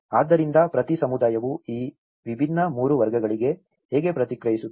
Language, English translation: Kannada, So, how each community response to these different 3 categories